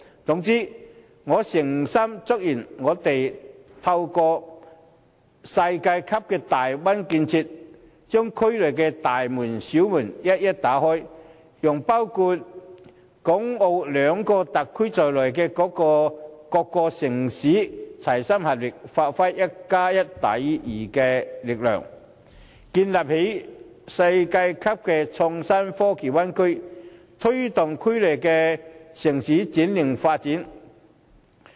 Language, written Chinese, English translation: Cantonese, 總之，我誠心祝願我們透過這世界級的大灣區建設，把區內的大門、小門一一打開，讓包括港澳兩個特區在內的各個城市，齊心合力發揮"一加一大於二"的力量，建立世界級的創新科技灣區，推動區內城市轉型發展。, All in all I sincerely hope that we can through this world - class construction in the Bay Area open various doors big or small in the region so that all cities including Hong Kong and Macao can work together to generate greater powers for building the world - class innovation and technology Bay Area and promoting the restructuring and development of cities within the region